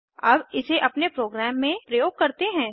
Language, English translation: Hindi, Now Let us use it in our program